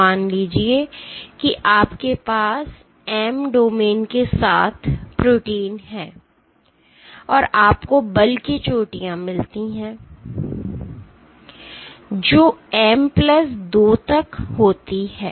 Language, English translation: Hindi, Let us say you have a protein with M domains, and you get force peaks which have up to M plus 2